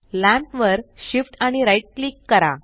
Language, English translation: Marathi, Now Shift plus right click the lamp